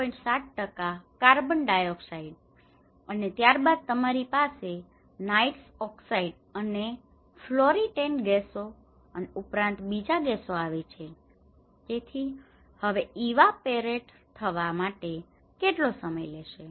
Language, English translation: Gujarati, 7% of carbon dioxide and then you have the other nitrous oxide and the fluorinated gases and as well as other gases so, now how much time it will take to evaporate